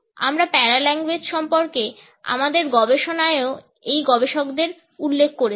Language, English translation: Bengali, We have referred to these researchers in our studies of paralanguage also